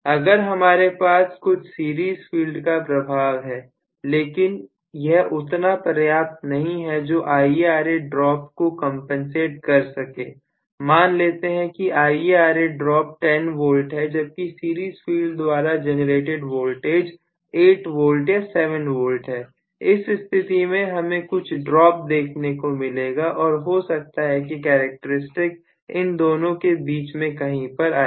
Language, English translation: Hindi, If I have some series field influence but it is not good enough to compensate for IaRa drop, let us see IaRa drop is 10 V, whereas the series field voltage generated is only 8 V or 7 V, then I am still going to see a drop and may be the characteristic will lie somewhere in between the two, so the series field influence is not good enough to completely compensate for IaRa drop, but it is partially compensating